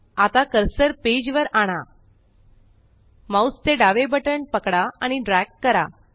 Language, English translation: Marathi, Now bring the cursor to the page gtgt Hold the left mouse button and Drag